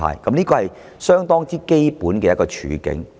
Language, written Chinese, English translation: Cantonese, 這是相當基本的處境。, This is a fairly basic condition